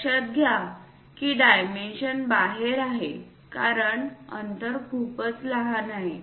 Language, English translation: Marathi, Note that the dimension is outside because the gap is too small